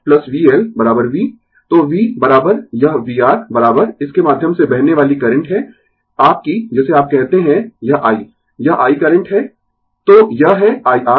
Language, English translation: Hindi, So, v is equal to this v R is equal to current flowing through this is your what you call, this i, this i is the current right, so it is i R